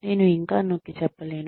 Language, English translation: Telugu, I cannot emphasize on that enough